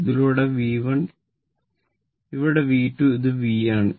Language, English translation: Malayalam, So, this is V 3 this is V 3 right